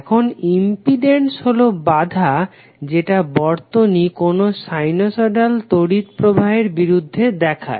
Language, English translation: Bengali, Now impedance represents the opposition that circuit exhibits to the flow of sinusoidal current